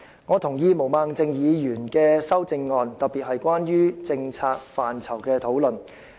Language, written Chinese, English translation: Cantonese, 我同意毛孟靜議員的修正案，特別是關於政策範疇的討論。, I agree with Ms Claudia MOs amendment particularly the points she made on policies